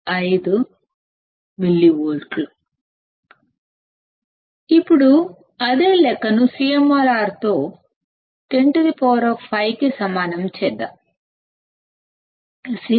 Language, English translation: Telugu, 5 millivolts; Now let us do the same calculation with CMRR equals to 10 raised to 5